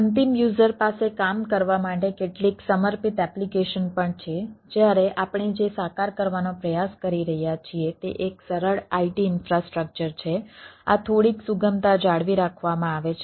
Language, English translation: Gujarati, end user also have a some dedicated application to work with right, whereas what we go for, what we are trying to realize, is more of a simplified i t infrastructure right where, where these are are little bit, flexibilities are maintained